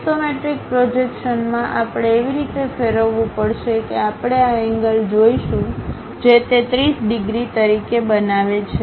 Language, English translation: Gujarati, In the isometric projections, we have to rotate in such a way that; we will see this angle whatever it is making as 30 degrees thing